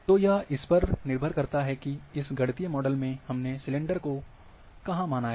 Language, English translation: Hindi, So, it depends on how where exactly the cylinder has been assumed in this mathematical model